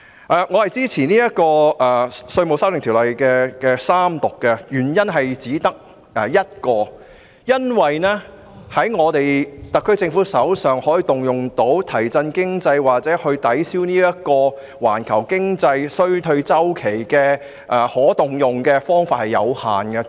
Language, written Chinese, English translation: Cantonese, 我支持三讀《條例草案》的原因只有一個，就是特區政府可以動用作為提振經濟或抵銷環球經濟衰退的方法有限。, I support the Third Reading of the Bill for only one reason that is the measures that the SAR Government can adopt to shore up the economy or offset a global economic recession are limited